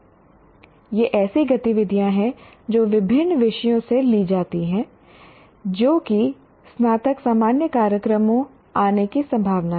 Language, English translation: Hindi, These are activities that are taken from different subjects that one is likely to come across in undergraduate general programs